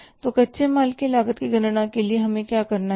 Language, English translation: Hindi, So, what we have to find out here is that is the cost of raw material consumed